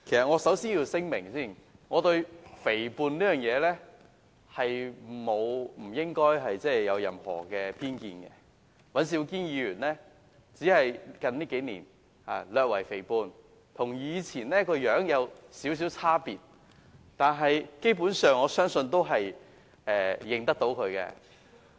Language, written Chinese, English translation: Cantonese, 我要先作聲明，我對肥胖沒有偏見，只是尹兆堅議員在這數年略為肥胖，跟以前的樣子有少許差別，但基本上，我相信大家也認得他。, However when Mr LAM Cheuk - ting mentioned that Mr Andrew WAN I have to declare first I do not have any bias against fat people only that Mr Andrew WAN has put on some weight in these years and he looks slightly different from his past appearance; yet basically I think we all recognize him